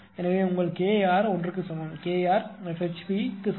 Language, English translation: Tamil, So, in that case your K r K r is equal to 1, K r is equal to F HP K r is 1